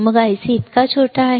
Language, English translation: Marathi, Then the IC is so small IC